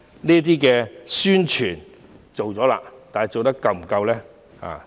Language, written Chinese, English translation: Cantonese, 這些宣傳做了，但是否做得足夠呢？, These promotions have been done but are they sufficient?